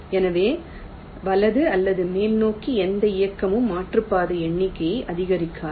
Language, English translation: Tamil, so any movement towards right or towards top will not increase the detour number